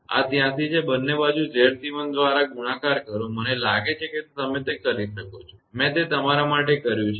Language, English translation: Gujarati, So, this equation multiply equation 83 by Z c 1 this is 83, multiply both side by Z c 1; I think you can do it; I have done it for you